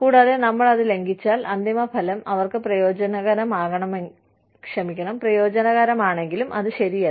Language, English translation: Malayalam, And, if we infringed upon that, then even, if the end result ends up benefiting them, it is not right